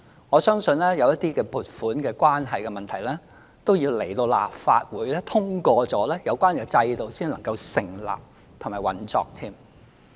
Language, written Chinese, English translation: Cantonese, 我相信有一些關係到撥款的問題，是要待立法會通過之後，有關制度才能夠成立和運作。, For issues concerning funding applications we have to get the approval of the Legislative Council first before the relevant system can be established and operated